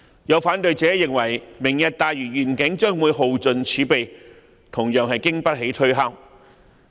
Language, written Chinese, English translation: Cantonese, 有反對者認為，"明日大嶼願景"將會耗盡政府儲備，這說法同樣經不起推敲。, Some opponents argue that the Lantau Tomorrow Vision will exhaust the Governments reserves . This cannot stand the test of reason either